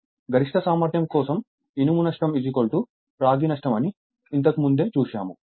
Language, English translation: Telugu, That means, my at maximum efficiency iron loss is equal to copper loss that we have derived